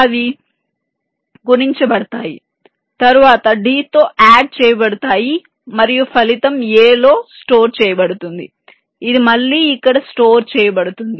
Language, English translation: Telugu, they would get multiplied, then added with d and the result will be stored in a, which again would be stored here